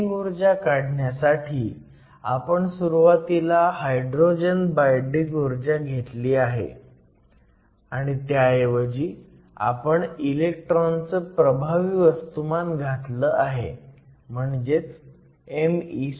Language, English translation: Marathi, We started with the binding energy for hydrogen and we replace it with the effective mass of the electron